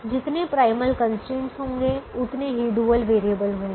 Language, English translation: Hindi, now there will be as many dual constraints as the number of primal variables